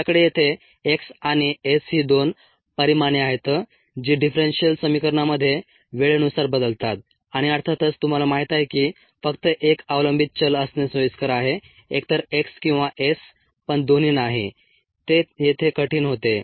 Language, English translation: Marathi, also, we have two quantities here, x and s, that vary with time in the differential equation and of course you know that it is preferable to have only one dependent variable, either x or s, not both